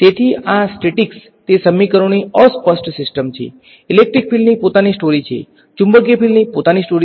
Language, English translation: Gujarati, So, these statics they are uncoupled system of equations; electric field has its own story, magnetic field has its own story ok